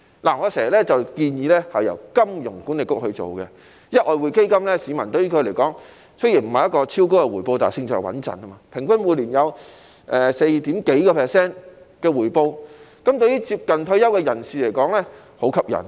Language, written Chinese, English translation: Cantonese, 我經常建議這項基金由香港金融管理局負責，因為外匯基金對於市民來說，雖然不是超高的回報，但勝在穩陣，平均每年有 4% 多的回報，對於接近退休的人士而言是很吸引的。, I always suggest that the Hong Kong Monetary Authority should take charge of such a fund because though not yielding extremely high returns for the public the Exchange Fund has the advantage of being stable with an average annual return of over 4 % which is very attractive to people who are approaching retirement